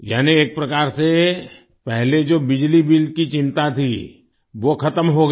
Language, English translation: Hindi, That is, in a way, the earlier concern of electricity bill is over